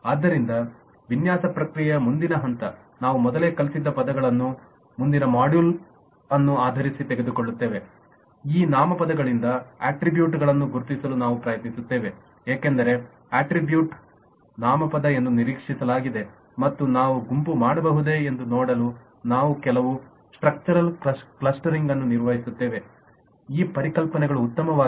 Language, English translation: Kannada, so the next step in the design process: we pick up in terms of the what we learnt in the earlier module, that we will try to identify the attributes out of this nouns, because an attribute is expected to be a noun, and we will perform some structural clustering to see if we can group this concepts better